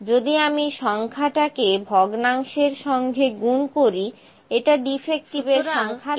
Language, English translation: Bengali, If I multiply the number to the fraction it will show the number of defectives, ok